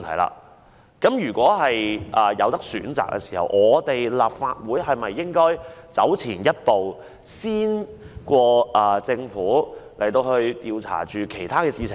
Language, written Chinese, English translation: Cantonese, 因此，如果有選擇的話，立法會是否應走前一步，較政府更早開始調查其他事情呢？, Hence if we have the choice should the Legislative Council not take a step forward to start the investigation of other issues earlier than the Government?